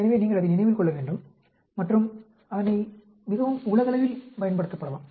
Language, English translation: Tamil, So, you need to remember that and it can be used very globally